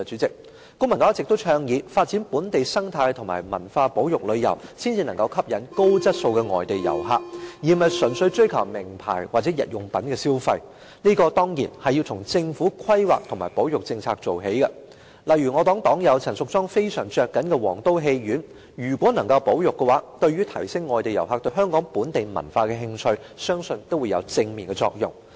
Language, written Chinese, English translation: Cantonese, 公民黨一直倡議，發展本地生態和文化保育旅遊才能夠吸引高質素的外地遊客，而不是純粹追求名牌或日用品消費，這當然要從政府規劃和保育政策做起，例如我黨友陳淑莊議員非常着緊的皇都戲院如果能夠獲得保育，對於提升外地遊客對香港本地文化的興趣，相信也會有正面的作用。, The Civic Party has always advocated developing local eco - tourism and heritage tourism to attract high - quality foreign visitors instead of those who visit the territory merely for purchasing brand name items or daily necessities . This of course requires planning and a conservation policy on the part of the Government . For instance if the State Theatre which my party comrade Ms Tanya CHAN is very much concerned about can be conserved I believe there will be a positive effect on enhancing foreign visitors interest in Hong Kongs local culture